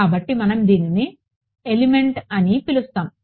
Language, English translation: Telugu, So, we will call this an element